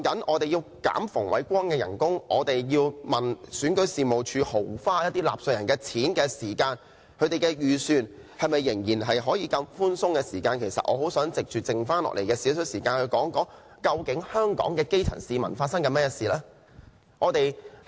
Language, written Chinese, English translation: Cantonese, 我們討論削減馮煒光的薪金和追究選舉事務處豪花納稅人的錢時，仍然可以問他們的預算是否很寬鬆，其實我很想在餘下的少許時間說一說，究竟香港的基層市民正在面對甚麼事情？, When we discuss the emoluments of Andrew FUNG and query the Registration and Electoral Office for lavishing taxpayers money we can still ask if their estimates are very lax . Actually I wish to spend a little of my remaining time on this question What are the grass roots in Hong Kong facing?